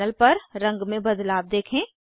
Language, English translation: Hindi, Observe the change in color on the panel